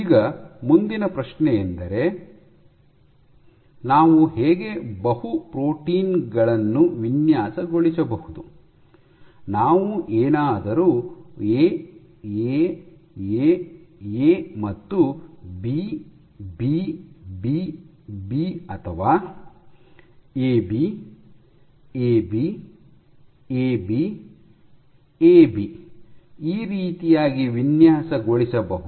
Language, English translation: Kannada, Now the next question comes is how do we make, design our multi protein should we have a design like A A A A is followed by B B B B or A B A B A B A B